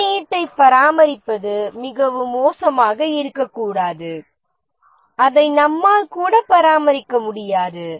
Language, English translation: Tamil, The code should not be so bad that we cannot even maintain it